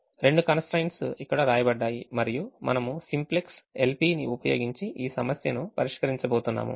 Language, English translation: Telugu, the two constraints are written here and we are going to use simplex l, p and we solve this